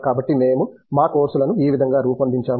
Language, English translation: Telugu, So this is how we have designed our courses